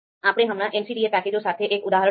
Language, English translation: Gujarati, So we we just saw one example with the MCDA package